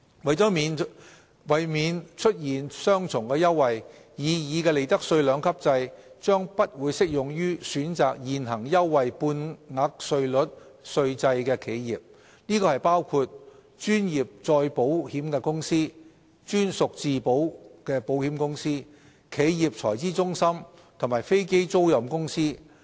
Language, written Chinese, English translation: Cantonese, 為免出現雙重優惠，擬議的利得稅兩級制將不適用於選擇現行優惠半額稅率稅制的企業，包括專業再保險公司、專屬自保保險公司、企業財資中心及飛機租賃公司。, In order to avoid double benefits the proposed two - tiered profits tax rates regime will not be applicable to enterprises electing the existing preferential half - rate tax regimes including professional reinsurance companies captive insurance companies corporate treasury centres and aircraft leasing companies